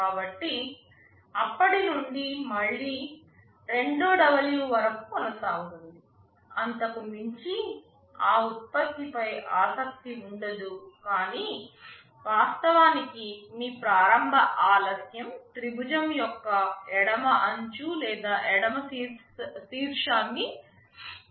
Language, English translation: Telugu, So, from then again it will continue up to 2W beyond which there will be no interest in that product anymore, but your initial delay is actually shifting the left edge or the left vertex of your triangle to the right, this is what is happening